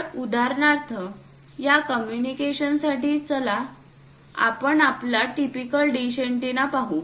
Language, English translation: Marathi, So, for example, here let us look at our typical dish antenna for this communication